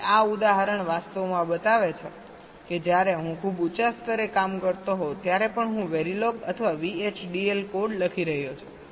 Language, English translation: Gujarati, so this example actually shows that even when i am working at a much higher level, i am writing a very log or v, h, d, l code